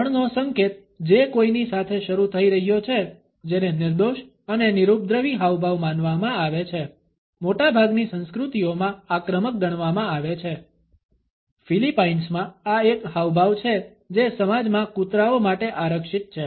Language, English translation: Gujarati, The third gesture which is beginning at someone, which is considered to be an innocent and innocuous gesture, in most of the cultures is considered to be highly offensive, in Philippines, this is a gesture which is reserved for dogs in the society